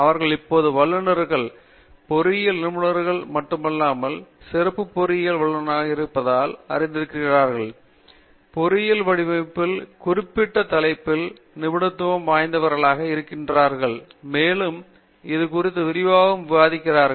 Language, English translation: Tamil, Is that you know they are now specialists, specialist in not just engineering design but they are specialist in particular topic in engineering design and have looked at the topic in great detail and so on